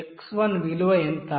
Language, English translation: Telugu, What is the x1 value